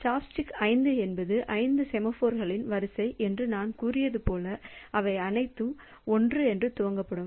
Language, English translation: Tamil, So, chop stick as you as I have said that chop stick 5 is an array of 5 semaphores all of them initialized to 1